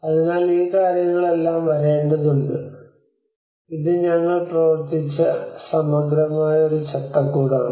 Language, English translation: Malayalam, So all these things has to come this is a very holistic framework which we worked on